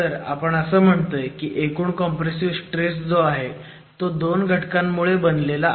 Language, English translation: Marathi, So here we are saying that the net the total compressive stress comes from two contributions